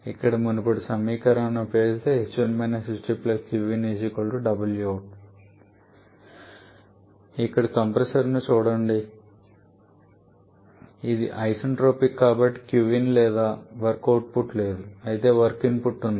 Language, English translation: Telugu, Now look at the compressor Q there it is isentropic so there is no Q in and there is no work output rather is work input